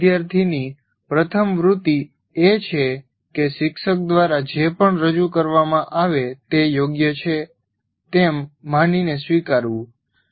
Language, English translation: Gujarati, The first tendency of any student is whatever is presented by the teacher is right